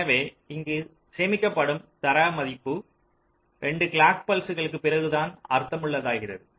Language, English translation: Tamil, so the data value that to be stored here, that will take meaningful interpretation only after two clock pulses